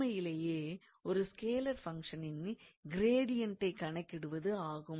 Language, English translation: Tamil, Now, using this gradient of a scalar function